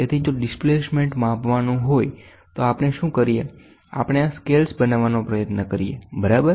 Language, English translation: Gujarati, So, if the displacement has to be measured, then what we do is, we try to create these scales, ok